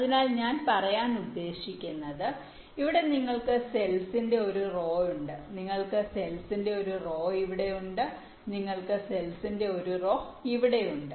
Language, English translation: Malayalam, so what i mean to say is that you have one row up cells here, you have one row up cells here